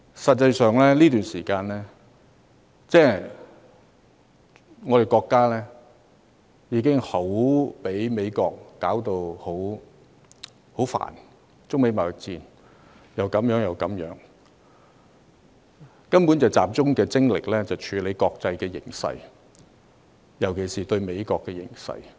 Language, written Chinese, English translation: Cantonese, 實際上，在這段時間，國家已被美國弄得暈頭轉向，中美貿易戰烽煙四起，以致國家必須集中精力處理國際形勢，尤其是美國事務。, In fact our country has been baffled very much by the United States and the Sino - United States trade war has been raging . As such the country must focus on the international situation especially the United States affairs